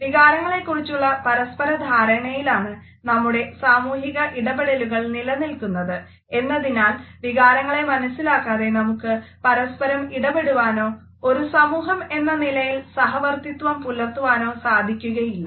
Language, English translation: Malayalam, Our social interactions are dependent on the mutual understanding of emotions, without understanding the emotions we cannot interact with each other and coexist as a society